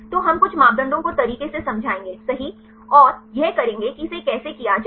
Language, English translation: Hindi, So, we will explain some of the parameters right and derive how to do it